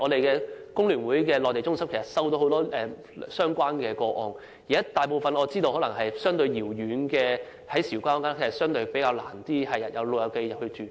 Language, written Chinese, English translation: Cantonese, 工聯會的內地中心接獲很多相關個案，我亦知道位於韶關的護老院舍可能相對遙遠，較難吸引長者入住。, The Mainland Centre under FTU has received many related cases . I am also aware that it is difficult to induce elderly people to move into residential care homes for the elderly in Shaoguan probably because of the latters remote locations